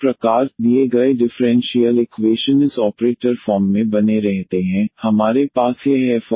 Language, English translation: Hindi, So, the given differential equation retain in this operator form we have this f D y is equal to the X